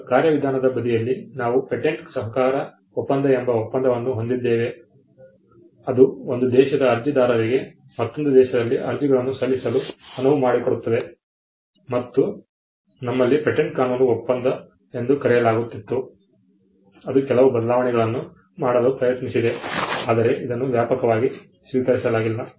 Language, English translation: Kannada, Now, on the procedural side, we have an agreement called the or the treaty called the patent cooperation treaty which allows applicants from one country to file applications in another country and we also had something called the patent law treaty, which tried to make some changes, but it was not widely accepted